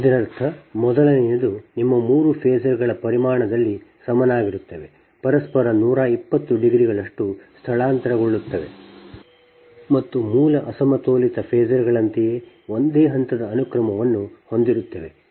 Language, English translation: Kannada, that means, first thing is that is set of your three phasors equal in magnitude, displaced from each other by one twenty degree in phase and having the same phase sequence as the original unbalanced phasors